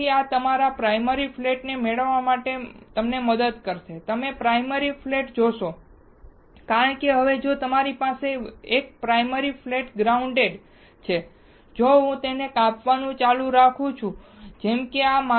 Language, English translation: Gujarati, So, this will help us to get the primary flat, you see primary flat because now if you have 1 of the primary flat grinded, if I keep on slicking it, like this